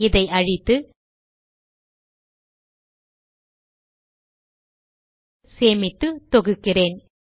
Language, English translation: Tamil, Let me save it first and then compile it